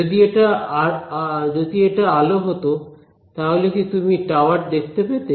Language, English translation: Bengali, So, if this were light would you be able to see the tower